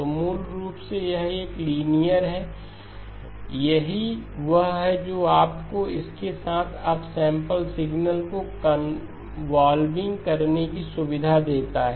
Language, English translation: Hindi, So basically it is a linear, this is what gives you the convolving the up sample signal with this